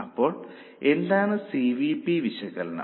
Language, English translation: Malayalam, Now what is CVP analysis